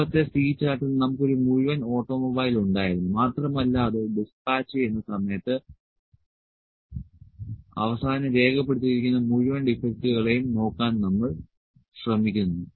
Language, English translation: Malayalam, In the previous C chart we had a one full automobile and we were try to look at defects the total defects which are noted down at the end while dispatching that